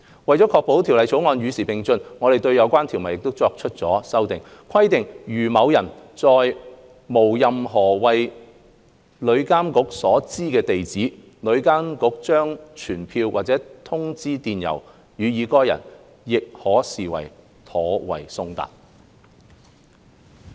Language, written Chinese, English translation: Cantonese, 為了確保《條例草案》與時並進，我們對相關條文作出了修訂，規定如某人並無任何為旅監局所知的地址，旅監局將傳票或通知電郵予該人，亦可視作妥為送達。, To ensure that the Bill keeps up with the times we have proposed to amend the relevant clause by providing that a TIAs summons or notice sent to a person by email is to be regarded as duly served if none of the persons addresses is known to TIA